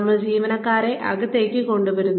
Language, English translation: Malayalam, We bring the employees